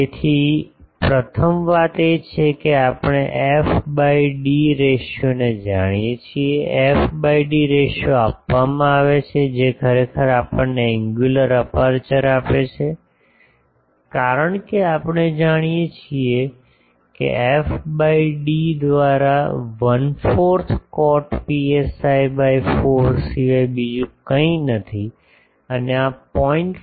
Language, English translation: Gujarati, So, first thing is we know f by d ratio, the f by d ratio is given that actually gives us the angular aperture because we know f by d is nothing but one fourth cot psi by 4 and this is specified as 0